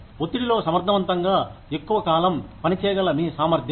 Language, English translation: Telugu, Your ability to work efficiently, under stress, for long periods of time